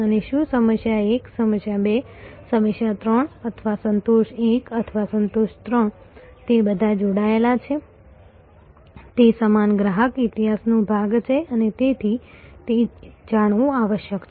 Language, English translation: Gujarati, And whether the problem 1, problem 2, problem 3 or satisfaction 1 or satisfaction 3, they are all connected it is part of the same customer history and therefore, it must be known